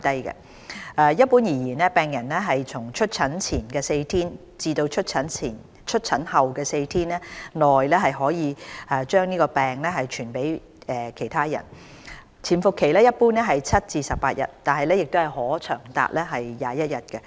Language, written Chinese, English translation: Cantonese, 一般而言，病人從出疹前4天至出疹後4天內可把病傳染給別人，潛伏期一般為7至18天，但可長達21天。, Generally speaking a patient can pass the disease to other people from four days before to four days after the appearance of skin rash . The incubation period normally ranges from 7 to 18 days but can be up to 21 days